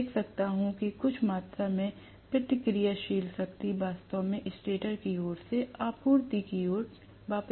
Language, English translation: Hindi, Rather, I might see that some amount of reactive power is returned actually from the stator side towards the supply